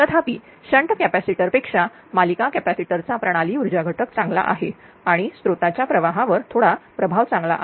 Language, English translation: Marathi, So however, a series capacitor better the system power factor much less than a shunt capacitor and a little effect on the source current